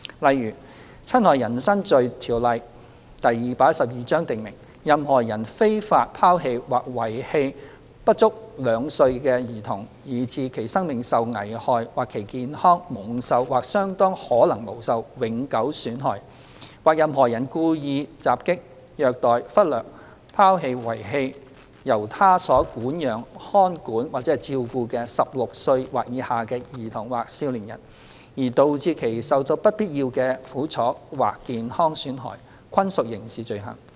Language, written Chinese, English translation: Cantonese, 例如，《侵害人身罪條例》訂明，任何人非法拋棄或遺棄不足兩歲的兒童以致其生命受危害或其健康蒙受或相當可能蒙受永久損害；或任何人故意襲擊、虐待、忽略、拋棄或遺棄由他所管養、看管或照顧的16歲或以下的兒童或少年人，而導致其受到不必要的苦楚或健康損害，均屬刑事罪行。, For example the Offences against the Person Ordinance Cap . 212 stipulates that any person who unlawfully abandons or exposes any child being under the age of two years whereby the life of such child is endangered or the health of such a child is or is likely to be permanently injured; or any person who wilfully assaults ill - treats neglects abandons or exposes such a child or young person under the age of 16 years under his custody charge or care in a manner likely to cause such a child or young person unnecessary suffering or injury to his health shall be guilty of a criminal offence